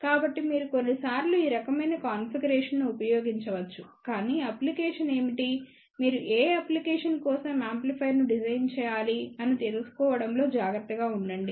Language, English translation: Telugu, So, you can use sometimes these kind of a configuration, but be careful you should know what is the application for which application, you have to design the amplifier